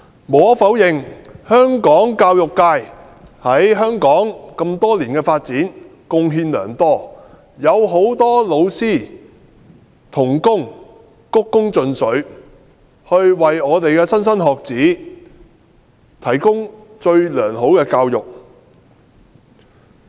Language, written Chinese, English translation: Cantonese, 無可否認，香港教育界為香港多年來的發展貢獻良多，很多老師鞠躬盡瘁，為莘莘學子提供最良好的教育。, Undeniably the education sector has for many years made great contributions to the society of Hong Kong . Many teachers have worked with utter dedication to provide the best education to their students